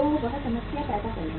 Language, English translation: Hindi, So that will create the problem